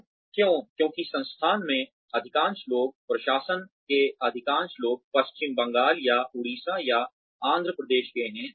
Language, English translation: Hindi, So, why because, most people here in the institute, most people in the administration, belong to, either West Bengal, or Orissa, or Andhra Pradesh